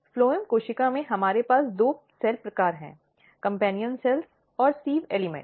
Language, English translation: Hindi, In phloem cell, we have two cell types the companion cells and sieve elements